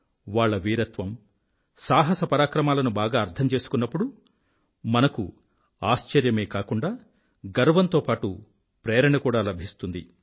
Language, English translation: Telugu, When we get to know the in depth details of their courage, bravery, valour in detail, we are filled with astonishment and pride and we also get inspired